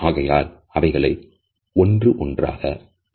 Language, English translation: Tamil, So, lets look at them one by one